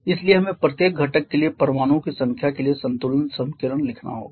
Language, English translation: Hindi, So, we have to write the balance equation for the number of atoms for each of the constituents